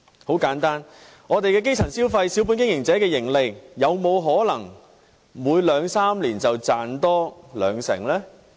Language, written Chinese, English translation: Cantonese, 很簡單：我們基層的消費、小本經營者的盈利，有沒有可能每兩三年便增加兩成呢？, This is very simple Can the spending of the grass roots or the profits of small business operators increase by 20 % every two to three years?